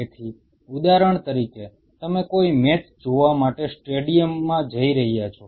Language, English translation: Gujarati, So, say for example, you are going to a stadium to see a match or something